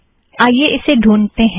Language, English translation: Hindi, SO lets locate this